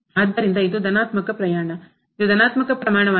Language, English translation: Kannada, So, this is a positive quantity, this is a positive quantity